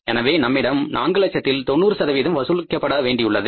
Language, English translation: Tamil, So now we are left with the 90% of that 4 lakhs to be collected